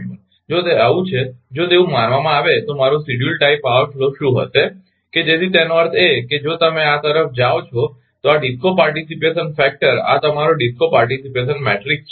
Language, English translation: Gujarati, If it is so, if it is so if suppose then what will be my scheduled tie power flow right so that means, if you go back to this your ah this DISCO participation matrix this is your DISCO participation matrix right